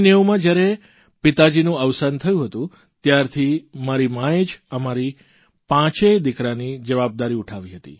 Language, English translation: Gujarati, In 1990, when my father expired, the responsibility to raise five sons fell on her shoulders